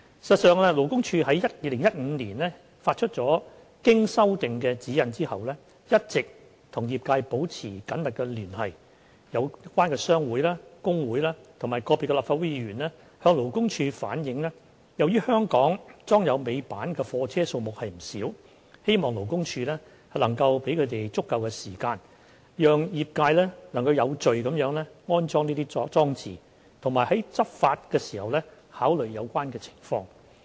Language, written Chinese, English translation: Cantonese, 事實上，勞工處於2015年發出經修訂的《指引》後，一直與業界保持緊密聯繫，有關商會、工會及個別立法會議員向勞工處反映由於香港裝有尾板的貨車數目不少，希望勞工處能夠給予足夠時間，讓業界能有序地安裝這些裝置，並在執法時考慮有關情況。, This compliance rate was far from satisfactory . As a matter of fact after the issuance of the revised GN in 2015 LD has been maintaining close contact with the industry . In view of the large number of goods vehicles fitted with tail lifts in Hong Kong concerned trade associations workers unions and some Legislative Council Members appealed to LD to allow sufficient time for the industry to retrofit their goods vehicles in accordance with GN and to take this into account in taking enforcement actions